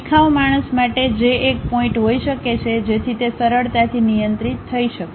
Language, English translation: Gujarati, For a beginner that might be an issue, so that can be easily handled